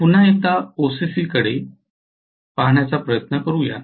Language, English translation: Marathi, So let us try to take a look at OCC once again